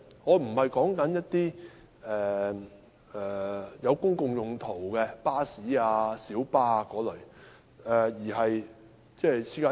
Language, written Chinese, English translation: Cantonese, 我所指的並非作公共用途的巴士、小巴等類別，而是私家車。, I am referring to private cars rather than those types of vehicles used for public purposes such as buses and minibuses